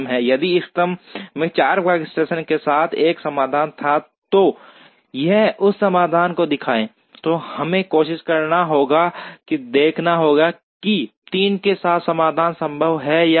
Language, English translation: Hindi, If the optimum had a solution with 4 workstations, then it will show that solution, then we will have to try and see whether a solution with 3 is possible